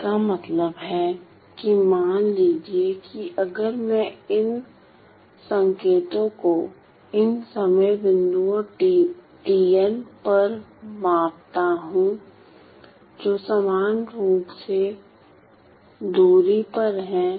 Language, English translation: Hindi, Which means that suppose if I were to measure these signals at these time points tn which are equally spaced